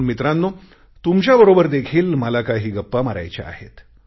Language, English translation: Marathi, Young friends, I want to have a chat with you too